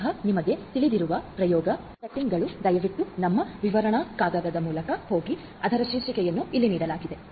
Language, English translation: Kannada, And therefore, experiment settings basically you know please go through our paper which is the title of which is given over here